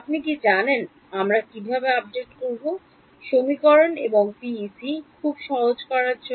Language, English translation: Bengali, You know what to do we get an update equation and PEC also very simple to do ok